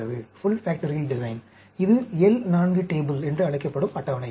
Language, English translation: Tamil, This is the table called L 4 table